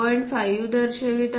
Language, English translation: Marathi, Here we are showing 2